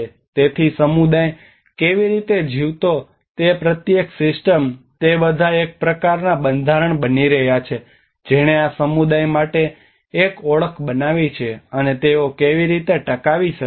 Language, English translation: Gujarati, So each and every system how the community lived they are all becoming a kind of structures that have created an identity for this community and how they can sustain